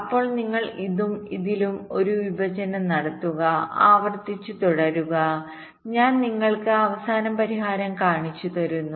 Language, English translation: Malayalam, then you do a partitioning of this and this and continue recursively and i am showing you the final solution